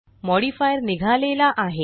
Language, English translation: Marathi, The modifier is removed